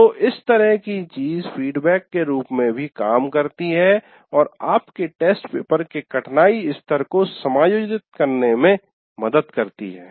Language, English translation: Hindi, So this kind of thing is also acts as a feedback to adjust the difficulty level of your test paper to the students that you have